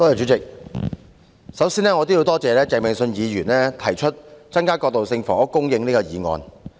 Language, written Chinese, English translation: Cantonese, 主席，首先我要多謝鄭泳舜議員提出"增加過渡性房屋供應"這議案。, President first of all I wish to thank Mr Vincent CHENG for moving this Motion on Increasing transitional housing supply